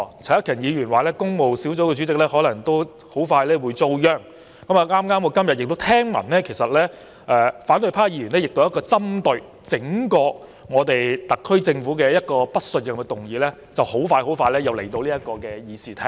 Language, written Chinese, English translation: Cantonese, 陳克勤議員說，工務小組委員會主席恐怕也快遭殃。我今天亦聽聞，反對派議員一項針對整個特區政府的不信任議案，不久之後也會提交到議事廳討論。, And the Chairman of the Public Works Subcommittee might well be the next according to Mr CHAN Hak - kan Today I also heard that a no - confidence motion against the entire SAR Government will soon be proposed by Members of the opposition camp for discussion in this Chamber